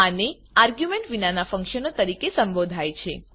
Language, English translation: Gujarati, This is called as functions without arguments